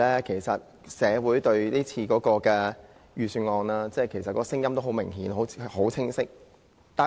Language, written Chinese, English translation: Cantonese, 其實社會對今次的預算案的聲音很明顯、很清晰。, In fact the voice of society on the Budget is very clear